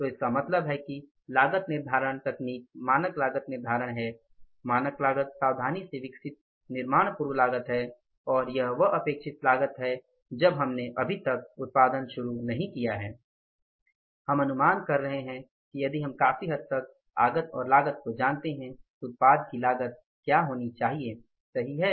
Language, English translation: Hindi, So, it means the costing technique is the standard costing, standard cost is the carefully developed pre manufacturing cost and expected cost is the one when we have not yet started the production, we are expecting that if we know the input cost largely then what should be the cost of the product